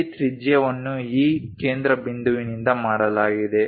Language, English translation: Kannada, This radius is made from this center